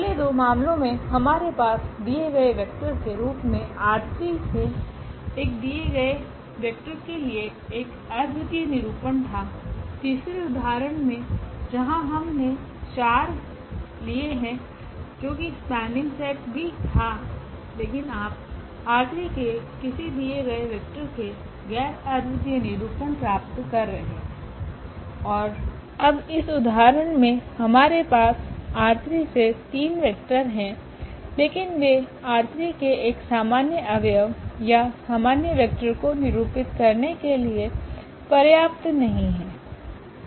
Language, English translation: Hindi, In the first two cases we had a unique representation for a given vector from R 3 in terms of the given vectors, in the third example where we have taken 4 that was also spanning set, but there you are getting non unique representations of a given vector from R 3 and now in this example though we have three vectors from R 3, but they are not sufficient to represent a general element or general vector from R 3